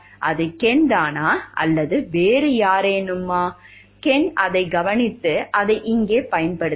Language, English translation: Tamil, Was it Ken himself or it was a somebody else and Ken has observed that and he has used it over here